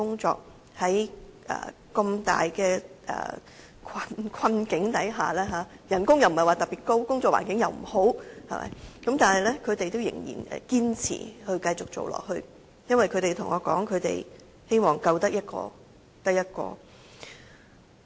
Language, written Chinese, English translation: Cantonese, 縱使面對困難，薪金既不是特別高，工作環境也不是太好，但她們卻仍然堅持繼續做，她們告訴我，就是由於希望可以"救得一個得一個"。, Even they are facing the difficulties in addition to the fact that the salaries are not that high and the working environment is not that good they insist to carry on with they work . They tell me that they will carry on as long as they can save one individual inmate